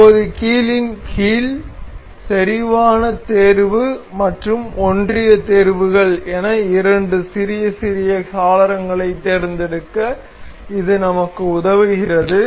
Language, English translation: Tamil, So, now under hinge it gives us to select two a small little windows that is concentric selection and coincident selections